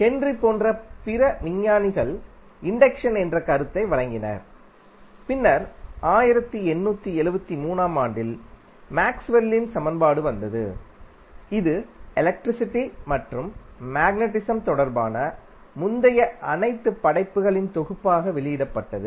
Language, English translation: Tamil, Other scientists like Henry gave the concept of electricity, induction and then later on, in the in the 19th century around 1873, the concept of Maxwell equation which was the compilation of all the previous works related to electricity and magnetism